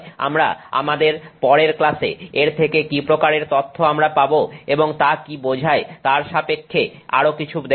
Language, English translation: Bengali, We will look some more into this with respect to what kind of data we will get and what that implies in our next class